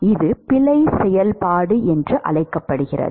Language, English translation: Tamil, It is called error function